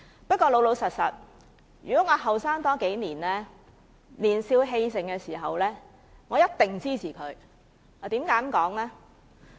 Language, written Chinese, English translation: Cantonese, 不過，老實說，如果我年輕數年，在我年少氣盛時，我一定會支持他的議案。, But frankly if I were several years younger meaning that when I was young and impetuous I would definitely support his motion